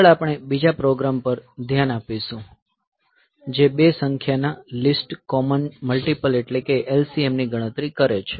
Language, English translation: Gujarati, Next we will look into another program that computes the LCM of two numbers least common multiple of two numbers